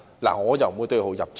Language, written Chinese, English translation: Cantonese, 我不會對號入座。, I will not take this remark personally